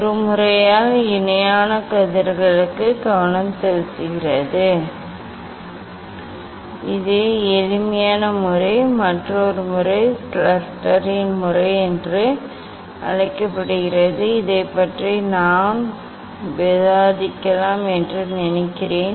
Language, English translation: Tamil, there is the focusing for parallel rays by a method, this is the simplest method, another method is there that is called Schuster s method, I think I may discuss this one